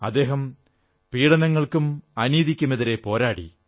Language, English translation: Malayalam, He fought against oppression & injustice